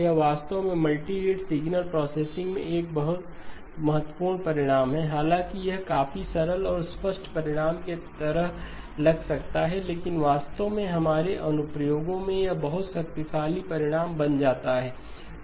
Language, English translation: Hindi, It is actually a very important result in multirate signal processing, though might seem like a fairly simple and obvious result, but actually becomes a very powerful result in our applications